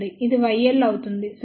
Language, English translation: Telugu, This will be y l, ok